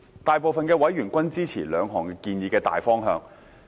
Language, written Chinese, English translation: Cantonese, 大部分委員均支持兩項建議的大方向。, The majority of members were supportive of the general direction of the two proposals